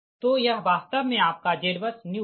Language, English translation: Hindi, so this is actually z bus new